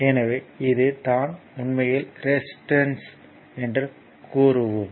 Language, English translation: Tamil, So, this is actually that what you call regarding the resistance